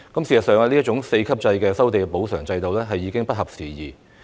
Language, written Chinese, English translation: Cantonese, 事實上，這種4級制收地補償制度已不合時宜。, In fact this ex - gratia zonal compensation system consisting of four compensation zones is behind the times